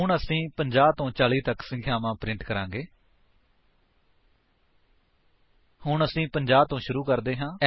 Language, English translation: Punjabi, Now, we shall print numbers from 50 to 40